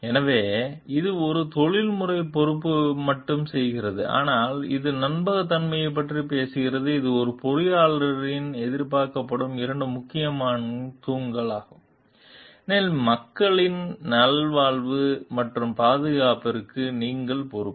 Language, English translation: Tamil, So, that is where it makes not only a professional responsibility; but it talks of the trustworthiness also, which is the two important pillars which are expected of a engineer because you are responsible for the wellbeing and safety of the people at large